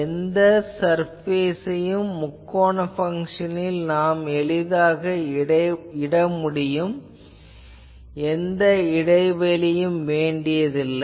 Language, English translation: Tamil, Also it is very easy to map any surface with triangle functions you do not put any gaps etc, ok